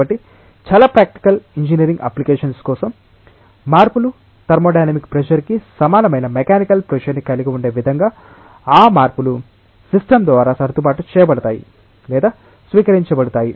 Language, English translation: Telugu, So, for most of the practical engineering applications the changes are such that those changes will be adjusted or adopted to by the system in a way that you will have mechanical pressure equal to thermodynamic pressure